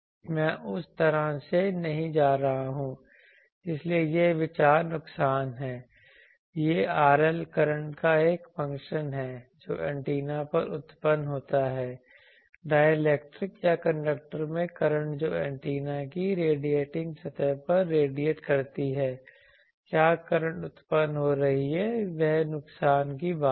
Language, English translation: Hindi, I am not going that way so the idea is that the losses this R L is a function of the currents that gets generated on the antenna, currents in dielectric or in conductor that radiating on the radiating surface of the antenna what are currents are getting generated that is the thing for loss